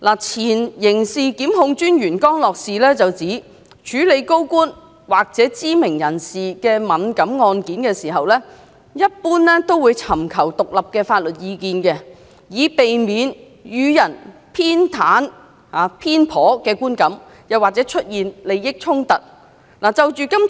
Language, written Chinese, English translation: Cantonese, 前刑事檢控專員江樂士指出，律政司在處理涉及高官或知名人士的敏感案件時，一般會尋求獨立的法律意見，以避免予人偏袒的觀感或利益衝突的問題。, According to former Director of Public Prosecutions Mr Ian CROSS DoJ would generally seek independent legal advice when dealing with sensitive cases involving senior government officials or well - known personalities in order to avoid giving rise to the publics perception of partiality or conflict of interests